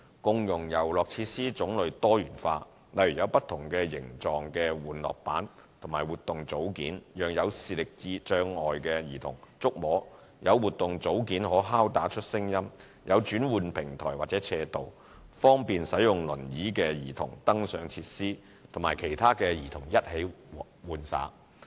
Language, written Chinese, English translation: Cantonese, 共融遊樂設施種類多元化，例如有不同形狀的玩樂板及活動組件，讓有視力障礙的兒童觸摸、有活動組件可敲打出聲音、有轉換平台或斜道，方便使用輪椅的兒童登上設施與其他兒童一起玩耍。, Diverse types of play equipment are installed at the venues including tactile play panels and movable parts in different shapes suitable for visually - impaired children movable parts that produce sounds when knocked as well as transfer platforms or ramps that help children using wheelchairs to use facilities and allow them to join other children in playing with these facilities